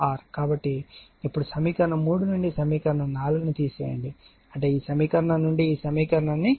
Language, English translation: Telugu, So, now now what you do subtract equation 4 from equation 3, I mean this equation you subtract from this equation if you do